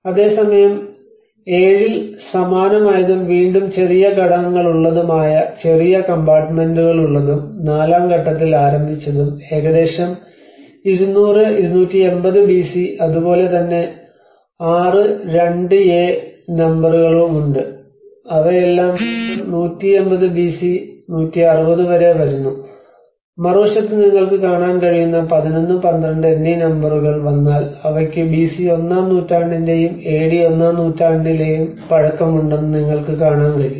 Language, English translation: Malayalam, \ \ Whereas in 7 which has a similar, which has again a smaller components, smaller compartments around it and that is dating back to phase 4 which is about 200, 280 BC and similarly you have number 6 and 2a, they are all again getting back 180 to 160 BC and if you come like that number 11 and 12 where you can see on the bottom side on the other side of the caves, you can see that they have dates back to first century BC and first century AD as well